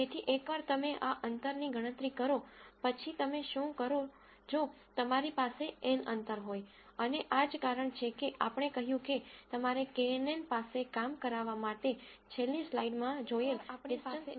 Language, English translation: Gujarati, So, once you calculate this distance, then what you do is you have n distances and this is the reason why we said you need a distance metric in last slide for a kNN to work